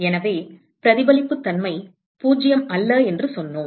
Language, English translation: Tamil, So, we said that the reflectivity is not 0